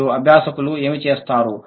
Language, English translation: Telugu, So, what do the learners do